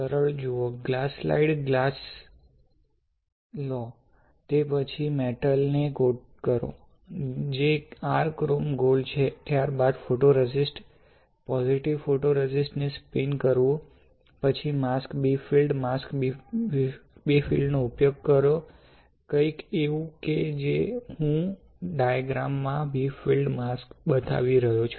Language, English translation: Gujarati, Simple, you see you take a glass slide glass; then on that, you coat metal, which is your chrome gold, then you spin coat photoresist, positive photoresist, then you use the mask, bright field mask, something like I am just showing a representative diagram alright, bright field mask